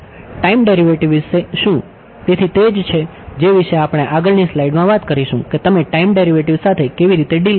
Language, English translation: Gujarati, What about the time derivative yeah; so, that is what we will talk about in the next slide how do you deal with the time derivative alright